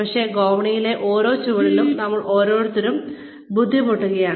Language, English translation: Malayalam, But, every one of us is struggling, with every step on the staircase